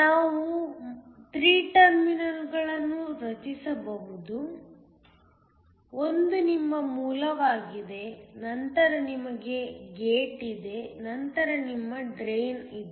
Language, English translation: Kannada, We can form 3 terminals, one is your Source, then you have a Gate, then you have your Drain